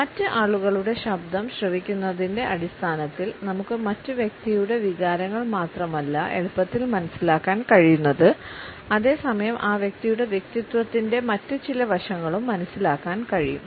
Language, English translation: Malayalam, On the basis of listening to the other people’s voice, we can easily make out not only the emotions and feelings of the other person, we can also understand certain other aspects of that individual’s personality